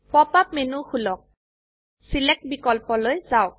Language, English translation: Assamese, First open the pop up menu and go to Select